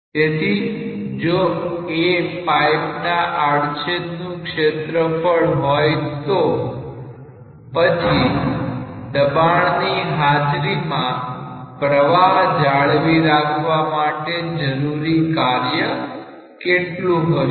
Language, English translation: Gujarati, So, if A is the area of cross section of the pipe, then what is the work done to maintain the flow in presence of pressure